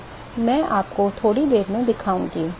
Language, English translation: Hindi, So, I will show you in a short while